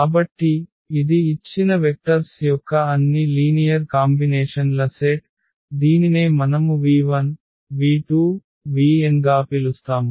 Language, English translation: Telugu, So, this is a set of all linear combinations of the given vectors we call the span of v 1, v 2, v 3, v n